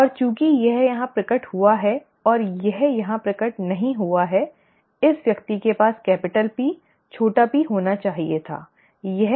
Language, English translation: Hindi, And since it has manifest here and also it has not manifest here this person must have had capital P, small p, okay